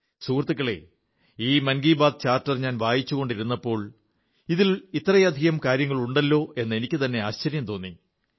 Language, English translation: Malayalam, Friends, when I was glancing through this 'Mann Ki Baat Charter', I was taken aback at the magnitude of its contents… a multitude of hash tags